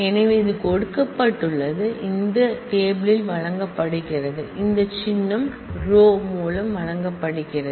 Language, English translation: Tamil, So, this is given a this is given by this relation is given by this symbol rho